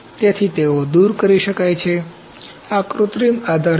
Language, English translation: Gujarati, So, they can be taken off, these are synthetic supports